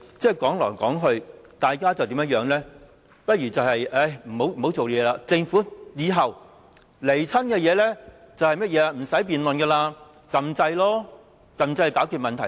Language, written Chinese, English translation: Cantonese, 說來說去，大家不如別再工作，以後當政府提交政策上來，我們無經辯論便可按鈕投票，這樣就可以解決問題了。, Then why dont we stop working altogether? . If the Government submits a policy proposal to us we can just press the button to cast our vote without any debate and the problem can be solved